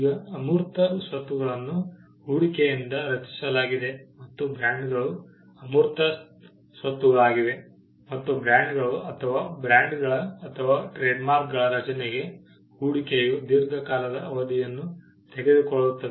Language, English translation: Kannada, Now, we saw that intangible assets are created by an investment into that goes into it and brands are intangible assets and the investment that goes into creation of brands or trademarks happen over a long period of time